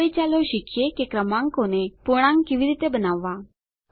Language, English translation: Gujarati, Now, lets learn how to round off numbers